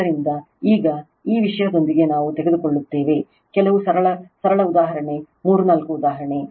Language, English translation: Kannada, So, in the now with this thing, we will take few simple your simple example three four example